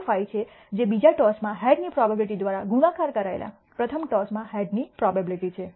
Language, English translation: Gujarati, 25, which is the probability of heads in the first toss multiplied by the probability of head in the second toss